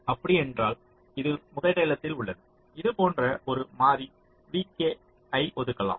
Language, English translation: Tamil, so if it is among the top one you assign a variable v k like this